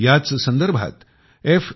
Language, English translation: Marathi, In this regard F